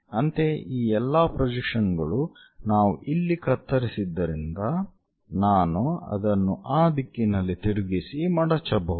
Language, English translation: Kannada, Similarly, this entire projection, because we scissored here, I can flip it in that direction fold it